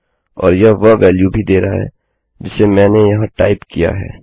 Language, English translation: Hindi, Also its giving the value of what Ive typed in